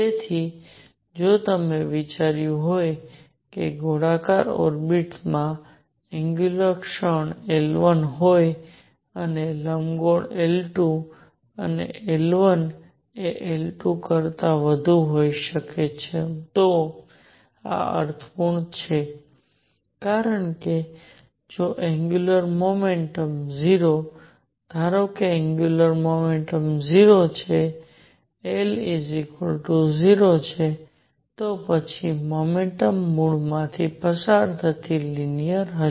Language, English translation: Gujarati, So, if I have considered suppose the circular orbit has a angular moment L 1 and the elliptical one is L 2 and L 1 could be greater than L 2 this makes sense because if the angular momentum is 0 suppose angular momentum is 0, L equal to 0, then the motion will be linear passing through the origin